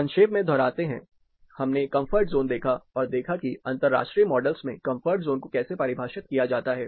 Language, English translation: Hindi, To get a recap we looked at the comfort zone, how comfort zone is defined in international models